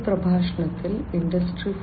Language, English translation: Malayalam, So, in Industry 4